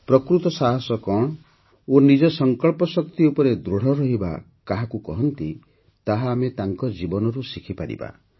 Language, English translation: Odia, We can learn from his life what true courage is and what it means to stand firm on one's resolve